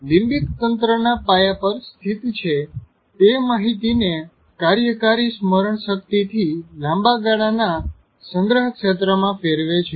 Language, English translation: Gujarati, Located at the base of the limbic area, it converts information from working memory to the long term storage region which may take days to months